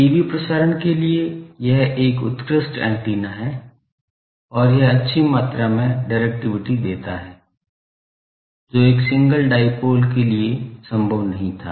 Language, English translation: Hindi, For TV transmission, this is an excellent a antenna and it gives good amount of directivity, which was not possible for a single dipole